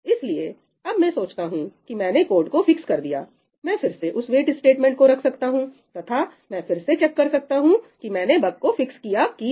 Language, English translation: Hindi, Okay, so, now, when I think I have fixed the code, I again let that wait statement stay and I can again check whether I have fixed the bug or not, right